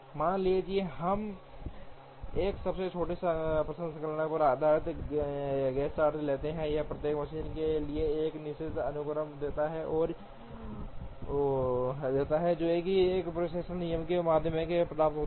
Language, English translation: Hindi, Suppose, we take a shortest processing time based Gantt chart, then it gives a certain sequence for each machine that is obtained through a dispatching rule